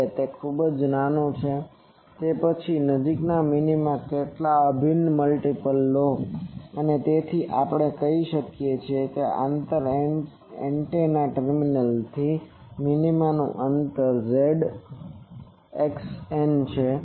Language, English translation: Gujarati, Now if that is too small then you take some integral multiple of the nearest minima and so let us say that that distance is distance of minima from antenna terminal is x n